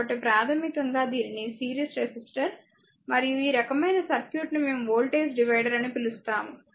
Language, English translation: Telugu, So, basically it is called series resistor and this kind of circuit we called as voltage divider, right